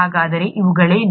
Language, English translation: Kannada, So what are these